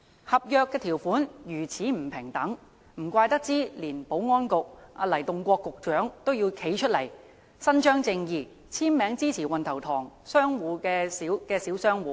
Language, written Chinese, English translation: Cantonese, 合約條款如此不平等，難怪連保安局局長黎棟國也要站出來伸張正義，簽名支持運頭塘商場的小商戶。, Seeing such inequitable contract terms no wonder Secretary for Security LAI Tung - kwok also came forward to put down his signature in support of the small traders of Wan Tau Tong Shopping Centre so as to seek justice for them